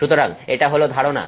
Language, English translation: Bengali, So, that is the idea